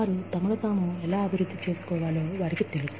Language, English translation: Telugu, How do they know, that they can develop, themselves